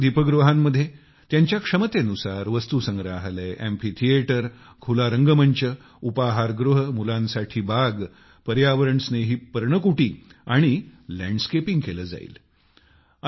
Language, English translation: Marathi, In all these light houses, depending on their capacities, museums, amphitheatres, open air theatres, cafeterias, children's parks, eco friendly cottages and landscaping will bebuilt